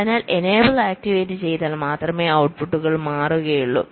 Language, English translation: Malayalam, so if enable is activated, only then the outputs will change